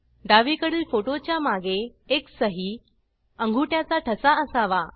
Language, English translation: Marathi, The photo on the left, should have a signature/thumb impression across it